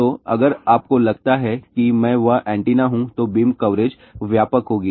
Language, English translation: Hindi, So, if you think I am that antenna , then the beam coverage will be wide